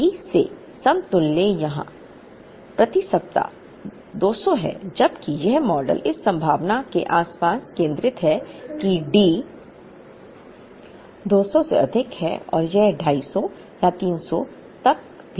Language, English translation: Hindi, The equivalent of D here is 200 per week whereas, this model is centered around the possibility, that D is greater than 200 and it can even go up to 250 or 300